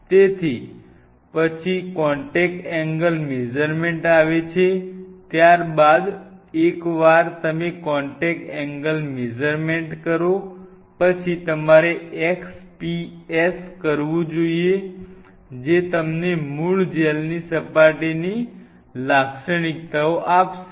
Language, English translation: Gujarati, So, then comes contact angle measurements, followed by once you do a contact angle measurement you should do an XPS that will give you the surface characteristics sorry the surface characteristics of the native gel